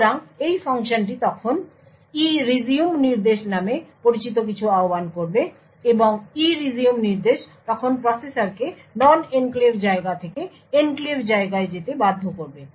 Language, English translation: Bengali, So, this function would then invoke something known as the ERESUME instruction and ERESUME instruction would then force the processor to move from the non enclave space to the enclave space